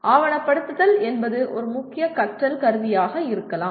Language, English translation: Tamil, Documentation itself is a/can be a major learning tool